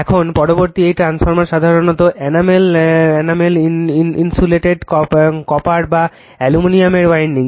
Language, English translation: Bengali, Now, next this transformer winding usually of enamel insulated copper or aluminium